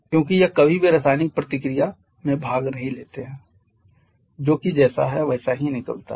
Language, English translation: Hindi, Because that never participate in chemical reaction that just comes out as it is